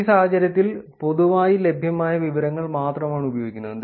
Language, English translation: Malayalam, In this case, only publicly available information is used